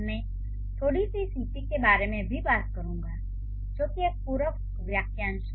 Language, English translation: Hindi, I'll also talk about a bit of, let's say, CP, which is going to be a complementizer phrase